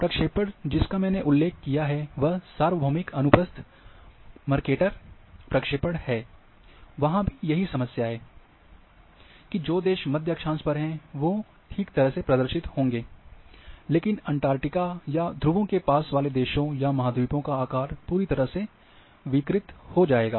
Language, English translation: Hindi, The projection which I have mentioned the universal transverse Mercator projection, there too you are having this problem, that the in the countries which are in the middle latitudes will be have sort of true representation, but the countries at near the poles, like Antarctica or north pole, continents will have completely distorted representation